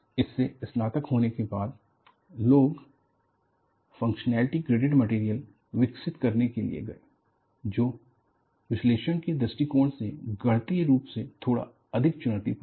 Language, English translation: Hindi, After the graduation from this, people went in for developing functionally greater material, which is little more mathematically challenging, from the point of view of analysis